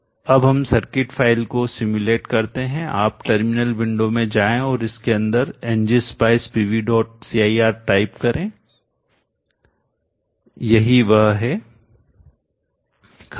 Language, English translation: Hindi, Now let us simulate the circuit file you go into the terminal window type in ng spice P V